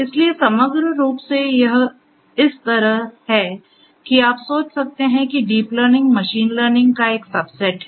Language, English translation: Hindi, So, holistically you know it is like this that, deep learning you can think of is a subset of machine learning